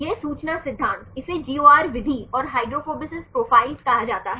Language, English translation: Hindi, This information theory, this is called the GOR method and hydrophobicity profiles